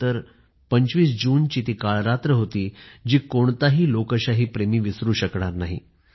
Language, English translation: Marathi, 1975 25th June it was a dark night that no devotee of democracy can ever forget